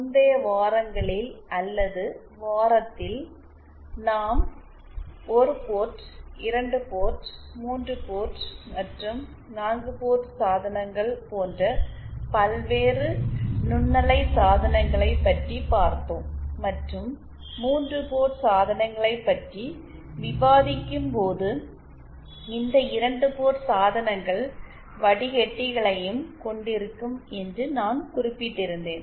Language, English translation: Tamil, In the previous weeks or in the week for, we had covered the various microwave devices like the 1 port, 2 port, 3 port and 4 port devices and while discussing 3 port devices, I had mentioned that these 2 port devices also include filters but then filters themselves are a huge topic in themselves, will cover it separately